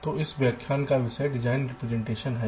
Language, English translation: Hindi, so the topic of this lecture is design representation